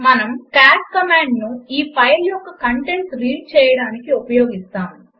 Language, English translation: Telugu, We can use the cat command to view the contents of this file